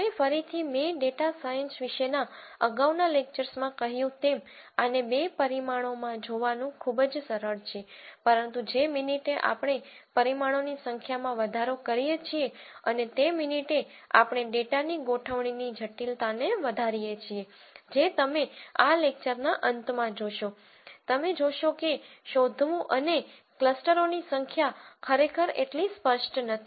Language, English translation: Gujarati, Now, again as I mentioned before in one of the earlier lectures on data science, very easy to see this in two dimensions, but the minute we increase the number of dimensions and the minute we increase the complexity of the organization of the data which you will see at the end of this lecture itself, you will you will find that finding and the number of clusters is really not that obvious